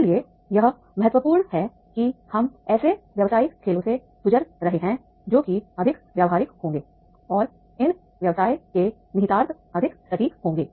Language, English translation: Hindi, So, so therefore it is important that is we are going through the such business games which will be more practical and the implications of the step of the business that will be more accurate